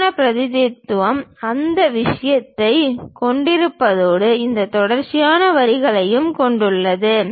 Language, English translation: Tamil, The right representation is having those thing and also having these continuous lines